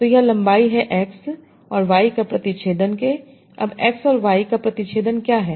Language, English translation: Hindi, So this is the length of x intersection y